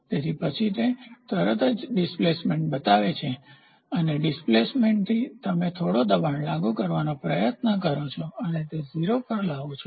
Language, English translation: Gujarati, So, then it immediately shows the displacement and from the displacement, you try to apply some force and bring it to 0